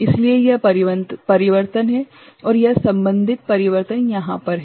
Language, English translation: Hindi, So, this is the change and this is the corresponding change is over here